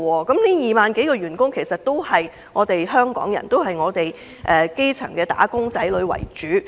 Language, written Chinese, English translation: Cantonese, 這2萬多名員工都是香港人，並以基層"打工仔女"為主。, All these 20 000 - odd employees are Hong Kong people among whom most are grass - roots wage earners